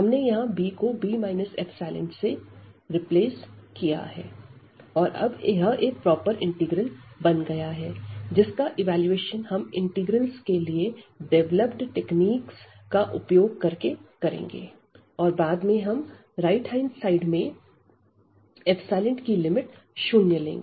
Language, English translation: Hindi, So, we have avoided now this b making this b minus epsilon and now this is nice integral, the proper integral which we will evaluate using the techniques developed for the evaluation of the integral and later on we will take the limit epsilon tending to 0 from the right side